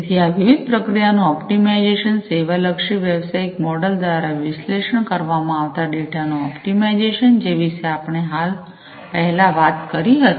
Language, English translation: Gujarati, So, optimizing of optimization of these different processes; optimization of the data that is analyzed by the service oriented business model, that we talked about earlier